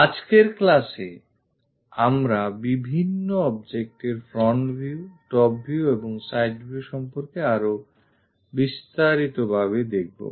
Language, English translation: Bengali, In today's class we will look at more details about this is front view top view and side view for different objects